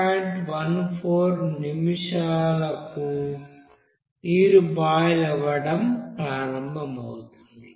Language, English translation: Telugu, 14 minute you know that your water will be starting to boil